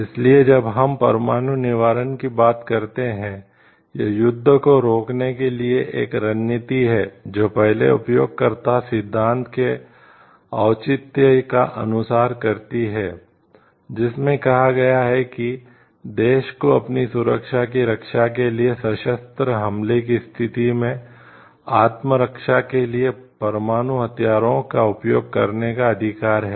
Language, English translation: Hindi, So, when we talk of nuclear deterrence it is a strategy to prevent work it follows the rationale of the first user principle which states that the right of the country to use nuclear weapons for a self defense in situation of an armed attack for protecting its security